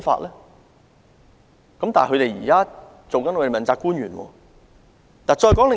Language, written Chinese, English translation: Cantonese, 他現在卻出任政府的問責官員。, Yet he is now one of the accountability officials of the Government